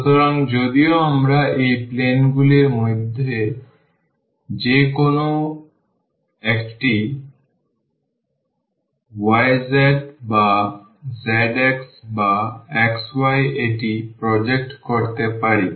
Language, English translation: Bengali, So, though we can we can project this to any one of these planes we either y z or z x or x y